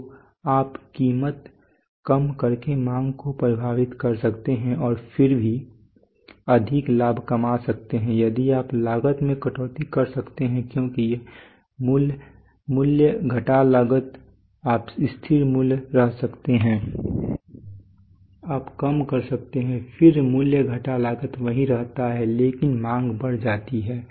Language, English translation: Hindi, So you can affect demand by cutting down price and still make more profit if you can cut down cost because price minus cost you can remain constant price you can reduce then price minus cost remains the same but demand increases